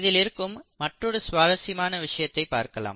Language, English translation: Tamil, So let us look at this other interesting aspect